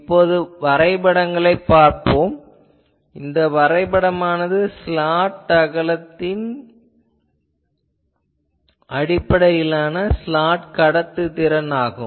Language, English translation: Tamil, Let me see the graphs, you see this graph this is a slot conductance as a function of slot width